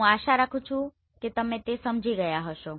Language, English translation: Gujarati, So I hope you must have understood this